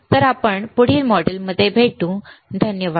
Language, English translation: Marathi, Thank you and I will see you in the next module